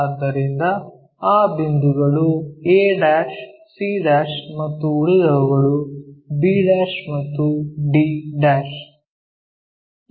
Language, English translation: Kannada, So, those points are a', c' and the rest of them b' and d'